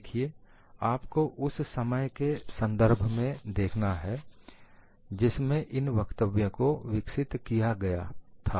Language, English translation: Hindi, See, you have to look at the statement from the context of the time while it was developed